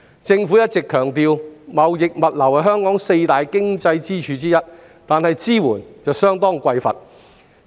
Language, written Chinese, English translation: Cantonese, 政府一直強調，貿易物流是香港的四大經濟支柱之一，但支援卻相當匱乏。, Although the Government always stresses that the trading and logistics industry is one of Hong Kongs four key economic pillars its support has been seriously insufficient